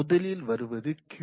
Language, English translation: Tamil, So let us say a Q